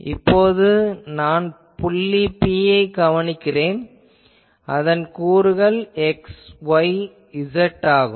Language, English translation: Tamil, Then and let us say that I am observing at a point P, whose coordinate is x y z